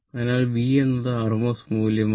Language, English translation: Malayalam, So, V is the rms value